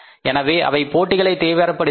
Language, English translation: Tamil, So it intensified the competition